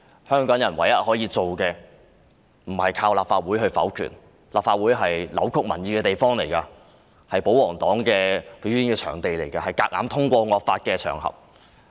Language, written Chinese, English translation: Cantonese, 香港人唯一可以做的不是靠立法會否決，因為立法會是扭曲民意的地方，亦是保皇黨的表演場地和強行通過惡法的場合。, The only thing Hongkongers can do is not to rely on a veto in the Legislative Council because the Council is a place where the public opinion is distorted . It is also a stage for the pro - Government camp and a venue for arbitrary passage of draconian laws